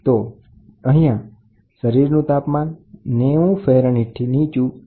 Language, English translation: Gujarati, So, here the body temperature falls below 90 degrees Fahrenheit